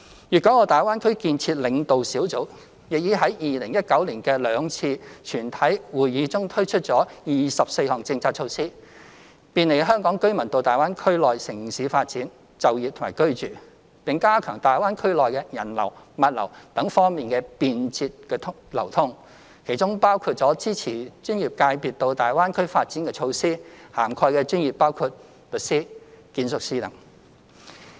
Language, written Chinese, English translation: Cantonese, 粵港澳大灣區建設領導小組亦已在2019年的兩次全體會議中推出共24項政策措施，便利香港居民到大灣區內地城市發展、就業和居住，並加強大灣區內人流、物流等方面的便捷流通，其中包括支持專業界別到大灣區發展的措施，涵蓋的專業包括律師、建築業等。, At the two plenary meetingsheld in 2019 the Leading Group for the Development of the Guangdong - Hong Kong - Macao Greater Bay Area also introduced 24 policy measures to offer convenience to Hong Kong people in developing their careers working and living in the Mainland cities of the Greater Bay Area as well as enhance the convenient flow of people goods and so on within the Greater Bay Areawhich includedmeasures supporting the development of professional servicesin the Greater Bay Area covering such professions as lawyers architects and so on